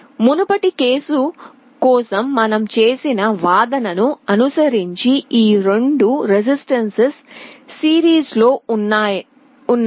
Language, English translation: Telugu, Following the same argument what we did for the previous case, these 2 resistances are coming in series